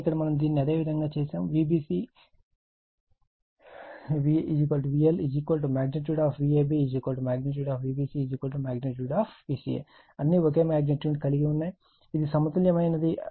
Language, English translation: Telugu, But here we have made it your, what we call your V L is equal to magnitude of V b magnitude of V b c all are same magnitude of it is balanced